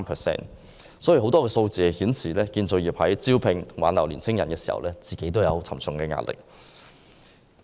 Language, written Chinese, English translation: Cantonese, 這些數字顯示，建造業在招聘和挽留年輕工人時面對沉重壓力。, These statistics show that the industry has great difficulties in recruiting and retaining young workers